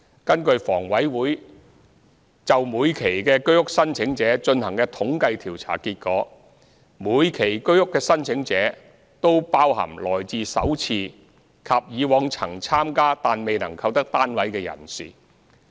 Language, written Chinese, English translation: Cantonese, 根據房委會就每期居屋的申請者進行的統計調查結果，每期居屋的申請者均包含首次參加及以往曾參加但未能購得單位人士。, According to the findings of HAs surveys on applicants of the Sale of HOS Flats each sale exercise covered both first - time applicants as well as those whose applications had been unsuccessful in previous rounds